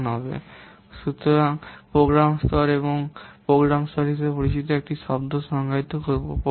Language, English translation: Bengali, The program level, so now we will define another term called as program level